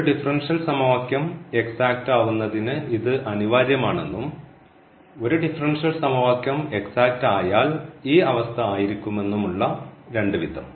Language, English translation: Malayalam, So, we have both ways here that this condition is also necessary for the exactness of a differential equation and this condition is also sufficient for exactness of a differential equation